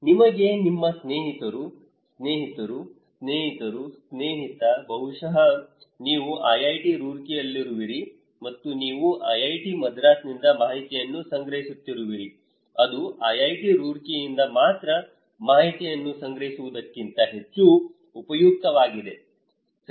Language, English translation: Kannada, You do not know your friends, friends, friends, friend maybe, you are at IIT Roorkee and you are collecting informations from IIT Madras that is more useful than only collecting informations from IIT Roorkee, right